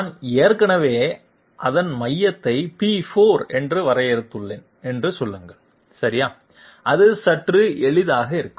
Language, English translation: Tamil, Say I have already defined its centre to be P4 okay that that would be a bit easy